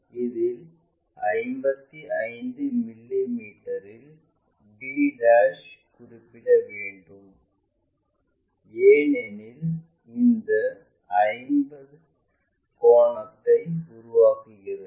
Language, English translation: Tamil, And, it has to mark at 55 mm to get this b ', because this makes 50 degrees